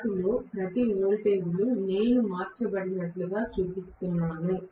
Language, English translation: Telugu, The voltages of each of them I am showing it as though they are shifted